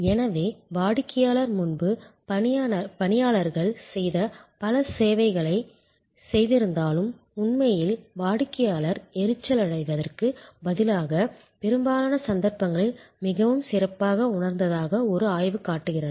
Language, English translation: Tamil, And even though therefore, customer did lot of work which was earlier done by employees, the customer in fact instead of feeling irritated, a research showed in most cases felt much better